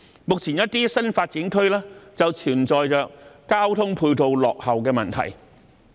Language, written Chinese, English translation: Cantonese, 目前，一些新發展區便存在着交通配套落後的問題。, At present some NDAs are faced with the problem of inadequate ancillary traffic facilities